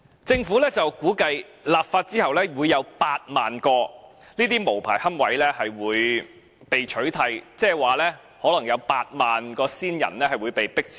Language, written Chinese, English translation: Cantonese, 政府估計，立法後會有8萬個這些無牌龕位被取締，即是說，可能有8萬個先人骨灰會被迫遷。, The Government estimated that 80 000 unlicensed niches in these columbaria will be eradicated after the enactment of the legislation . In other words the ashes of 80 000 deceased persons have to be relocated